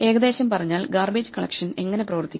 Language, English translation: Malayalam, So roughly speaking how does garbage collection work